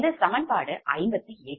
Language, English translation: Tamil, thats equation fifty eight